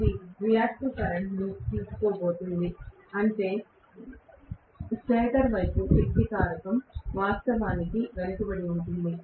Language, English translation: Telugu, Now, it is going to draw reactive current, which means the power factor of the stator side is going to be actually lagging